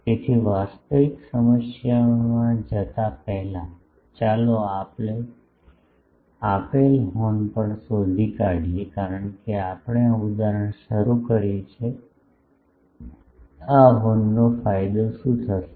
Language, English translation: Gujarati, So, before going into the actual problem, let us also find for the given horn since we have started that example what will be the gain of this horn